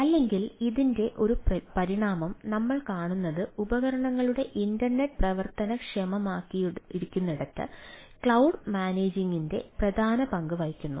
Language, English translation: Malayalam, what we see a a evolution of this, that internet of devices come into play, where cloud plays as a central ah role of managing the